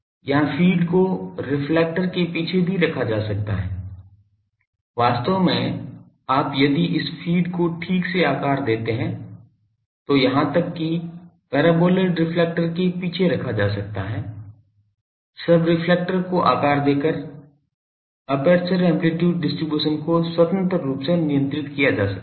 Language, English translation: Hindi, Here feed can be placed behind the reflector also, actually you can put it actually this thing if you properly shape this feed even can be put behind the paraboloid reflector by shaping the subreflector aperture amplitude distribution can be controlled independently